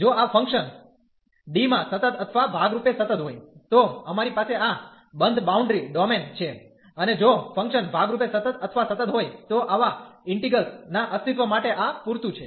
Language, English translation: Gujarati, If this function is continuous or piecewise continuous in D, so we have this closed boundary domain and if the function is piecewise continuous or continuous, so this is sufficient for the existence of such integrals